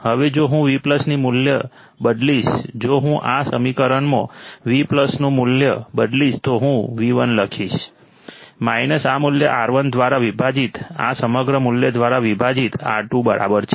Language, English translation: Gujarati, Now, if I substitute the value of Vplus, if I substitute the value of Vplus in this equation, what I would write is V1 minus this value divided by R1 equals to R2 divided by this whole value